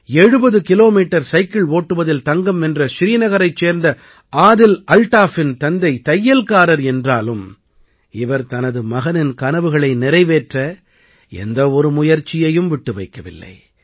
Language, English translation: Tamil, Father of Adil Altaf from Srinagar, who won the gold in 70 km cycling, does tailoring work, but, has left no stone unturned to fulfill his son's dreams